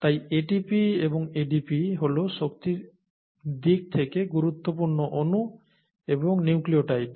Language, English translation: Bengali, So ATP and ADP the energetically important molecules in the cell, are also nucleotides